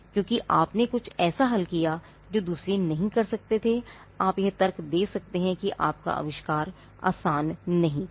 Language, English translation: Hindi, Because you solved something which others couldn’t do, you could argue that your invention was not obvious